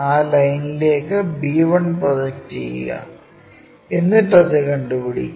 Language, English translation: Malayalam, Similarly, project b 1 onto that line locate it